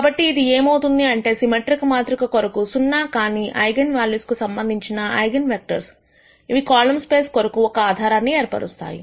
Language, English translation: Telugu, So, this implies that the eigenvectors corresponding to the non zero eigenvalues for a symmetric matrix form a basis for the column space